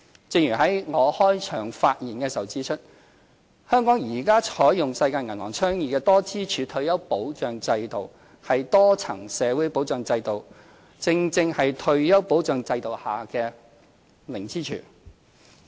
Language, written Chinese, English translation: Cantonese, 正如我在開場發言時指出，香港現時採用世界銀行倡議的多支柱退休保障制度，而多層社會保障制度正正是退休保障制度下的零支柱。, As I have pointed out in my opening speech Hong Kong presently adopts the multi - pillar model of retirement protection system advocated by the World Bank . The multi - tiered social security system is exactly the zero pillar under the retirement protection system